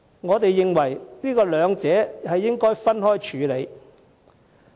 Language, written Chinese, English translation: Cantonese, 我們認為，兩者應分開處理。, In our view both issues ought to be dealt with separately